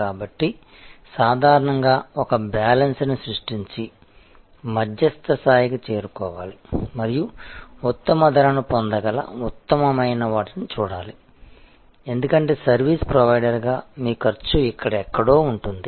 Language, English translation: Telugu, So, usually therefore, one has to create a balance and strike a middle ground and see the best that can be obtained the best level of price, because your cost as a service provider will be somewhere here